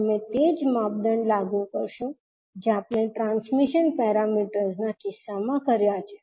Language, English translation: Gujarati, You will apply the same criteria which we did in the case of transmission parameters